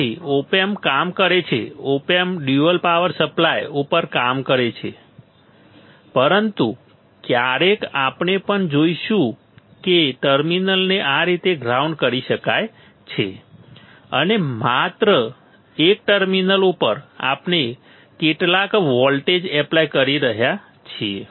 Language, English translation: Gujarati, So, op amp works, op amp works on a dual power supply, but sometimes we will also see that one terminal can be grounded like this; and only one terminal we are applying some voltage